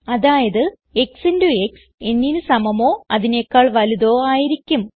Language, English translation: Malayalam, Which means either x into x must be equal to n